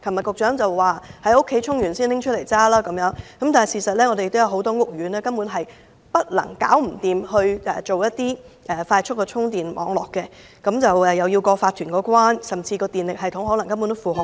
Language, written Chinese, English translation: Cantonese, 局長昨天建議電動車車主先在屋苑充電後才駕駛，但事實上，很多屋苑根本無法設立快速充電網絡，亦要得到法團同意，甚至電力系統無法負荷。, The Secretary suggested yesterday that electric vehicle owners should charge their vehicles before driving using the facilities at their residential estates . But it is difficult for some residential estates to install a quick charging network because the installation requires the prior approval of the owners corporation and adequate electricity support